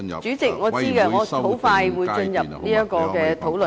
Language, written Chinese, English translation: Cantonese, 主席，我知道，我很快會進入有關討論。, Chairman I know . I will come to the discussion very soon